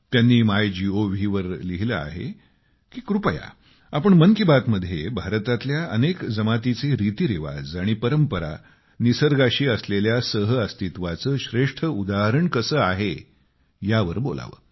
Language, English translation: Marathi, He wrote on Mygov Please take up the topic "in Mann Ki Baat" as to how the tribes and their traditions and rituals are the best examples of coexistence with the nature